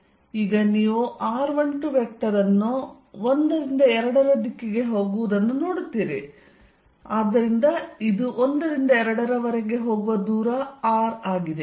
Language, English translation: Kannada, Now, you will see that just write r 1 2 vector from going from 1 to 2, so this is r from 1 to 2